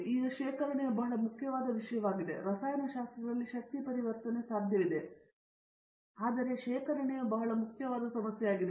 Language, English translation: Kannada, Now, the storage is a very important thing, energy conversion is may be possible in where the chemistry, but the storage is a very important problem